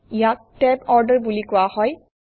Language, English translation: Assamese, This is called the tab order